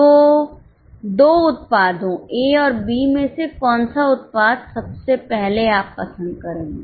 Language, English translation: Hindi, So, out of the two products A and B, which product first of all will you prefer